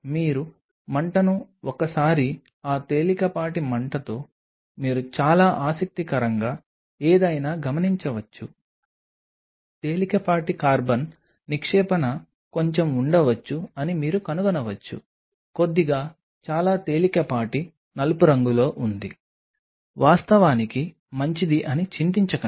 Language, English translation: Telugu, Just with that mild flaming once you do the flame you observe something very interesting you may find there may be a bit of a deposition of mild slight carbon there is slight very mild black do not get worried that is actually good that slight carbon is actually good